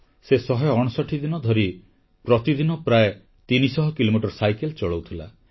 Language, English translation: Odia, She rode for 159 days, covering around 300 kilometres every day